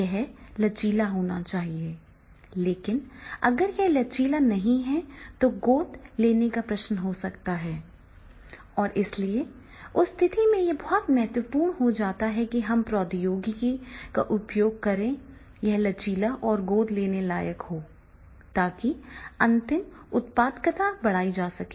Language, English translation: Hindi, You, it cannot be flexible and if it is not flexible then there may be the question of adaptability and therefore in that case it becomes very important that is when we use the technology we get the flexibility and adaptability and ultimately our productivity is going to increase